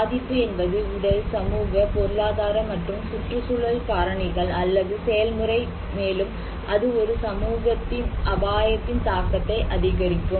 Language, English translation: Tamil, Now, we define vulnerability as the condition, that determined by physical, social, economic and environmental factors or process which increase the susceptibility of a community to the impact of hazard